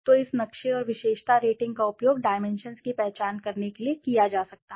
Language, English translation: Hindi, So to this map and the attribute rating can be used to identify the dimensions